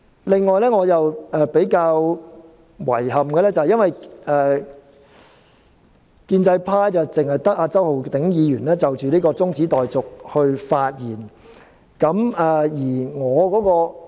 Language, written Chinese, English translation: Cantonese, 另外，我感到比較遺憾的是，建制派只有周浩鼎議員就中止待續議案發言。, Moreover I find it rather regrettable that Mr Holden CHOW is the only Member from the pro - establishment camp who spoke on the adjournment motion